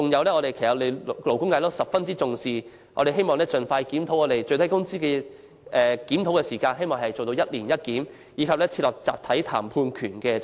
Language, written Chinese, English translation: Cantonese, 最後是勞工界十分重視的問題，我們希望當局盡快檢討最低工資制度，做到"每年一檢"，並設立集體談判權制度。, The last issue is something to which the labour sector has attached great importance . We hope the authorities will expeditiously review the minimum wage regime and conduct a review once a year as well as establishing a system for the right to collective bargaining